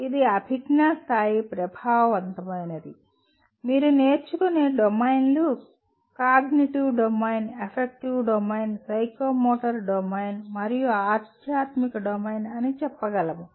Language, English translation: Telugu, It is a cognitive level, affective, it is not really, domains of learning you can say cognitive domain, affective domain, psychomotor domain and spiritual domain